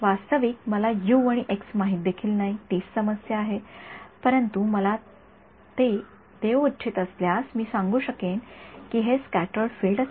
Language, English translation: Marathi, Actually I don't even know U and x that is the problem, but if you want to give it to me I can tell you I can predict that this should be the scattered field